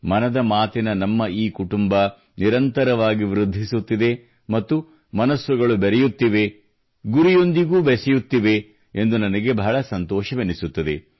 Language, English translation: Kannada, I really feel good for the fact that this Mann Ki Baat family of ours is continually growing…connecting with hearts and connecting through goals too